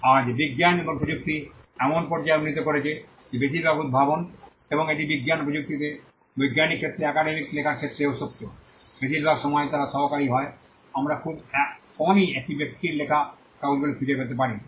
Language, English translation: Bengali, Today the sciences and technology has progressed to such a level that most of the inventions and this is also true about academic writing in the scientific in science and technology; most of the time they are coauthor we would very rarely find papers written by a single person